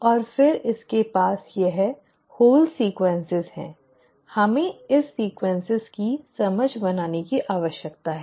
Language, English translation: Hindi, And then it has this whole sequences, we need to make sense of this sequence